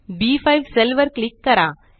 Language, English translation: Marathi, Click on the cell B5